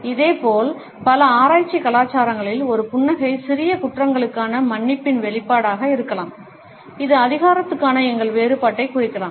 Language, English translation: Tamil, Similarly, in several Asian cultures, we find that a smile may be an expression of an apology for minor offenses; it may also indicate our difference to authority